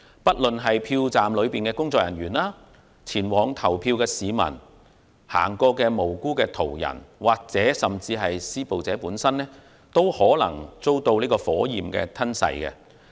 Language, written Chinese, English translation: Cantonese, 不論是票站內的工作人員、前往投票的市民、路過的無辜途人或是施暴者本身，均有可能遭到火燄吞噬。, There is a possibility that everyone of us including staff members on duty in polling stations citizens on their way to vote innocent passers - by or the assaulters themselves will be exposed to the risk of being engulfed by fire